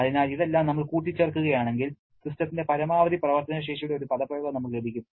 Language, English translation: Malayalam, So, if we add all this up, then we can get an expression of the maximum work potential of the system